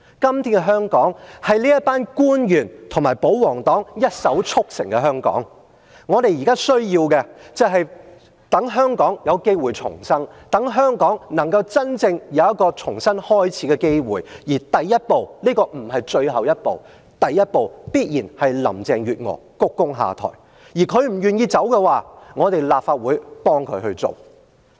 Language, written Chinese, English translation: Cantonese, 今天的香港是這群官員和保皇黨一手促成的香港，我們現在需要的是，讓香港有機會重生，讓香港有一個重新開始的機會；而第一步，這不是最後一步，第一步必然是林鄭月娥鞠躬下台，她不願意離開的話，立法會便幫她一把。, What we need now is an opportunity for Hong Kong to be reborn and to start anew . And the first step―certainly this is not the last step―must be the stepping down of Carrie LAM . If she is still reluctant to leave the Legislative Council may give her a hand